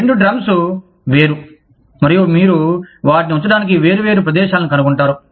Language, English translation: Telugu, Two drums, separate, and you would find different places, to put them in